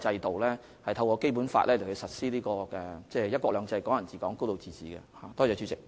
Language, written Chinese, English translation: Cantonese, 我們透過《基本法》實施"一國兩制"、"港人自港"、"高度自治"。, Under the Basic Law we implement one country two systems Hong Kong people administering Hong Kong and a high degree of autonomy